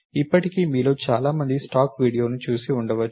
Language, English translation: Telugu, By now, many of you might have seen the stack video